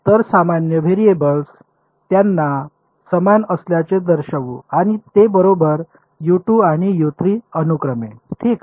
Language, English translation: Marathi, So, the common variables let us just indicate them they are the same and they are equal to U 2 and U 3 respectively ok